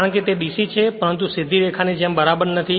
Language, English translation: Gujarati, Because it is DC but it is not exactly as a straight line